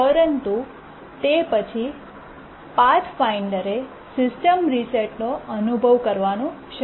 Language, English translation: Gujarati, But then the Pathfinder began experiencing system resets